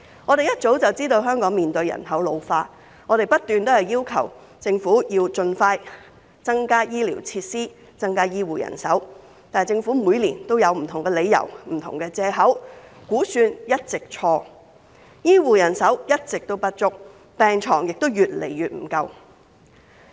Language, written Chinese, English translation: Cantonese, 我們一早知道香港面對人口老化，因而不斷要求政府盡快增加醫療設施、增加醫護人手，但政府每年都有不同的理由、不同的藉口，估算一直做錯，醫護人手一直不足，病床亦越來越不足夠。, As population ageing is a long - noted problem facing Hong Kong we have kept urging the Government to increase healthcare facilities and medical manpower promptly . Regrettably year after year the Government excuses itself for different reasons . Its estimates are always wrong; our hospitals are always short - handed; and the shortage of hospital beds has been exacerbated